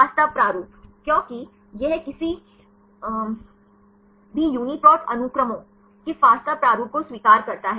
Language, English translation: Hindi, Fasta format because it accepts fasta format of any UniProt sequences